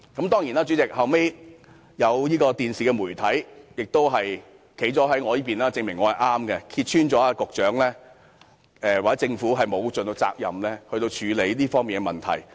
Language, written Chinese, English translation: Cantonese, 代理主席，其後有電視媒體站在我們這一方，證明我們是正確的，揭穿了局長或政府沒有盡責地處理好這方面的問題。, Deputy Chairman a television station later stood on our side and exposed the fact that the Secretary or the Government had not addressed the problems in this regard dutifully which proved that we were right